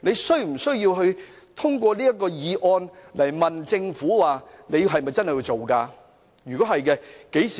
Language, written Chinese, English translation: Cantonese, 他無需透過這項議案詢問政府："你們是否真的會落實此事呢？, It is unnecessary for him to ask the Government under this motion Will you really put this matter into implementation?